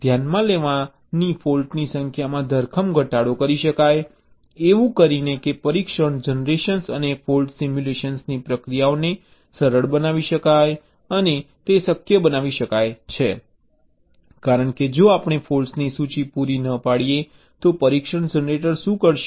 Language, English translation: Gujarati, the processes of test generation and fault simulation can be simplified, and it can be made possible, because if we do not provide with a list of faults, what will the test generator do